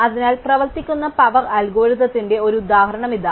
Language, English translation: Malayalam, So, here is an example of how our algorithm works